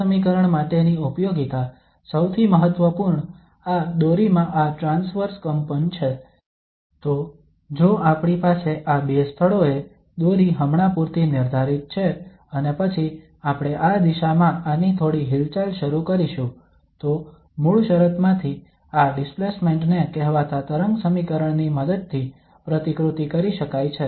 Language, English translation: Gujarati, The applications for this equation, the most important is this transverse vibration in a string; so if we have a string for instance fixed at these two places and then we initiate some movement of this in this direction then this displacement from the original state can be modeled with the help of the so called wave equation